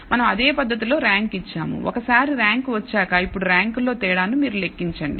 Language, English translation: Telugu, So, we have given a rank in a similar manner now once you have got the rank you compute the difference in the ranks